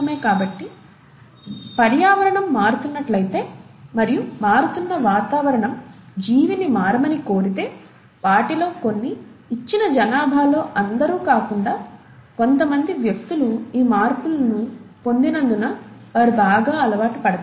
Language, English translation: Telugu, So, if the environment is changing and that changing environment demands the organism to change, some of them, not all of them in a given population, certain individuals will adapt better because they have acquired these modifications